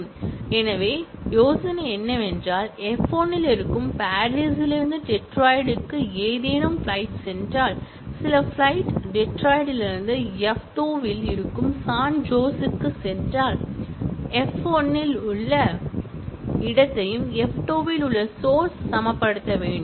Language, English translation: Tamil, So, the idea is, if something goes from Paris to Detroit that is in f 1 and if some flight goes from Detroit to San Jose that is in f 2, then the destination in f1 and the source in f2 have to be equated